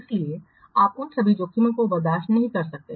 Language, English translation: Hindi, So you cannot tolerate all those risks